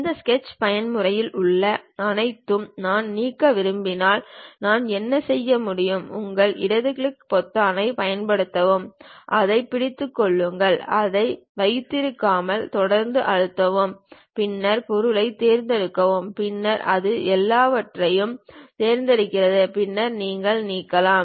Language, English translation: Tamil, If I want to delete everything in this Sketch mode what I can do is, use your left click button, hold it; hold it mean press continuously without releasing then select the object, then it select everything, then you can delete